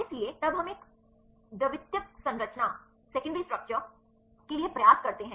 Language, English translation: Hindi, So, on then we try to a secondary structure right